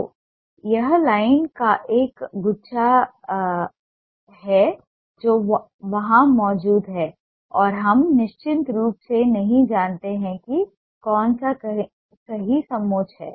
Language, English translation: Hindi, so it's a bunch of line that is present there and we do not know definitely which one is the right contour